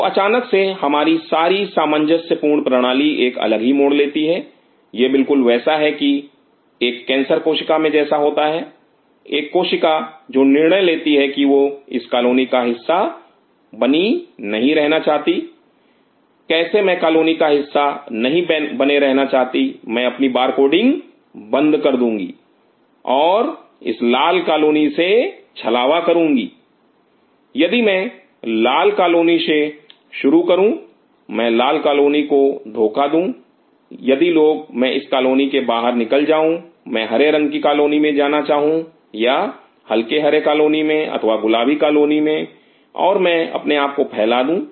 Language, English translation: Hindi, So, all of us sudden harmonious system goes for a different swing and that is precisely what happens in a cancer cell; a cell which decides that hey I do not want to be in part of this colony how I cannot become part of the colony I shut off my bar coding and I cheat this colony the red colony if I start with the red colony I cheat the red colony if people I moved out from that colony, I want to the green colony or the light green colony, or to the pink colony and I spread myself